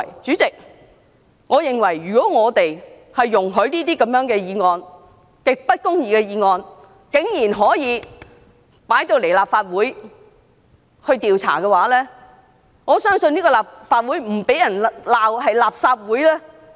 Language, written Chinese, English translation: Cantonese, 主席，如果我們容許如此極不公義的議案，竟然可以在立法會進行調查，我相信立法會便不得不被改稱為"垃圾會"。, That is really ridiculous . President if we allow such an extremely unjust motion to be investigated in the Legislative Council I believe the Legislative Council will have to be renamed as the Garbage Council . Well what goes around comes around